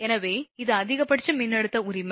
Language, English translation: Tamil, So, this is the maximum voltage right